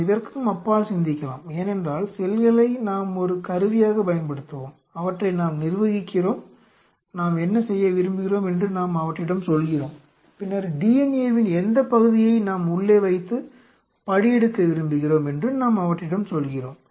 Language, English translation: Tamil, Let us think beyond this because let us use cells as a tool, we govern them we tell them what we wanted to do, we tell them then which part of the DNA we want to put you know transcribed